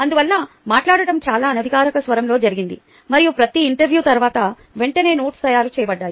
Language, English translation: Telugu, therefore, ah, the talking was done in a very informal tone and then the notes were made immediately after each interview